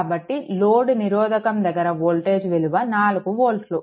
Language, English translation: Telugu, So, voltage across this load resistance is equal to 4 volt